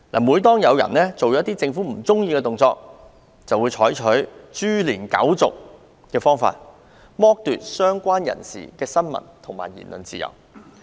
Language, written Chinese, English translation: Cantonese, 每當有人做出政府不喜歡的行為，當局便會採取"株連九族"的做法，剝奪相關人士的新聞和言論自由。, Whenever someones behaviour is not to the liking of the Government the authorities will implicate all the parties concerned and deprive them of freedom of the press and freedom of speech